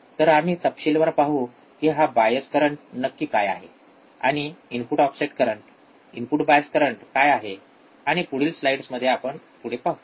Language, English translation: Marathi, So, we will see in detail what exactly this bias current and what are the input offset current input bias current and so on and so forth in the in the following slides